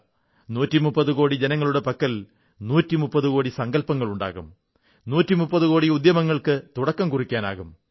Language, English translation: Malayalam, And I do believe that perhaps 130 crore countrymen are endowed with 130 crore ideas & there could be 130 crore endeavours